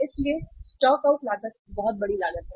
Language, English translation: Hindi, So stock out cost is a very big cost